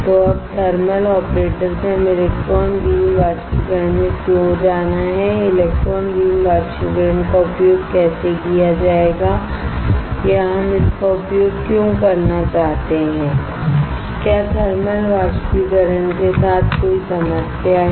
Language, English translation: Hindi, So now, from thermal operator why we have to go to electron beam evaporation and how the electron beam evaporation would be used or why we want to use it is there a problem with thermal evaporator right